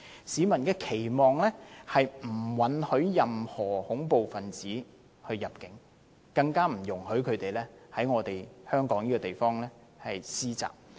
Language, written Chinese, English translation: Cantonese, 市民的期望是，政府不允許任何恐怖分子入境，更不容許他們在香港施襲。, The people expects that the Government will forbid any terrorist from entering Hong Kong not to say initiating attacks in Hong Kong